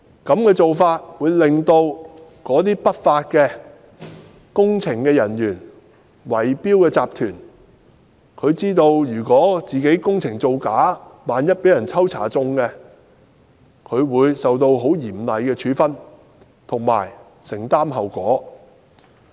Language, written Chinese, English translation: Cantonese, 這個做法會令不法工程人員和圍標集團知道，如果工程造假，萬一被抽中檢驗，便會受到很嚴厲的處分，並要承擔後果。, This practice will serve as a warning to law - breaking works personnel and bid - rigging syndicates . Should any falsifications in their works be detected in sampling tests they will be severely punished and required to take the responsibility